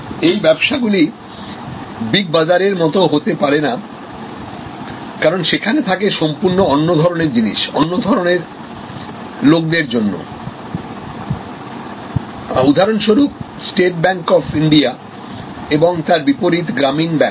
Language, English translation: Bengali, So, that cannot be you know the big bazaar type, where it is a different types of products for different types of people, very or even say for example, State Bank of India as oppose to Gramin Bank